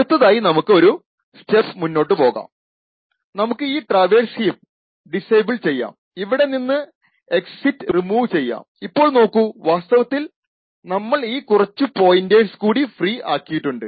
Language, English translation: Malayalam, The next thing we do is we go one step further, we can disable this traverse heap remove the exit from here and notice that we have actually freed a couple of these pointers